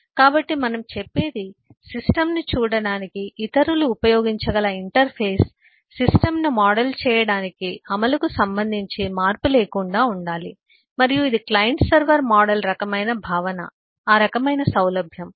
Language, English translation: Telugu, so what we say is an interface that others can use to view the system, to model the system has to be invariant with respect to the implementation and that is kind of the concept, kind of ease